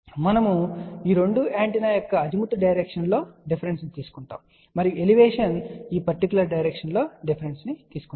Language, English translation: Telugu, We take the difference in the Azimuth direction of these 2 antenna, and along the Elevation we take the difference in this particular direction